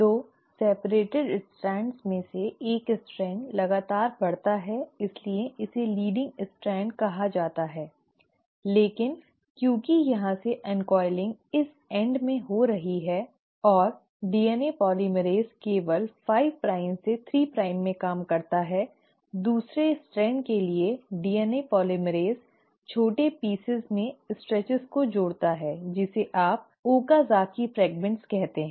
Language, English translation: Hindi, Of the 2 separated strands, one strand just grows continuously so that is called as the leading strand but since here the uncoiling is happening at this end and the DNA polymerase only works in 5 prime to 3 prime, for the other strand the DNA polymerase adds these stretches in small pieces, which is what you call as the Okazaki fragments